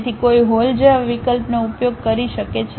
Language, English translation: Gujarati, So, one can use a option like hole